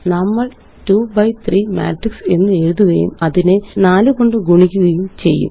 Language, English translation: Malayalam, We will write a 2 by 3 matrix and multiply it by 4